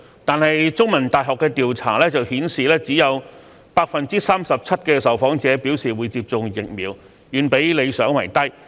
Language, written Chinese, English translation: Cantonese, 但是，香港中文大學進行調查的結果顯示只有 37% 的受訪者表示會接種疫苗，遠比理想為低。, However the results of a survey conducted by The Chinese University of Hong Kong show that only 37 % of the respondents would receive the vaccine far lower than the desirable level